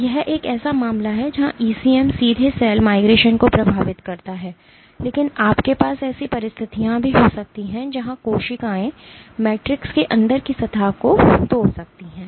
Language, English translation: Hindi, So, this is one case where the ECM directly influences cell migration, but you can also have situations where cells can degrade the matrix underneath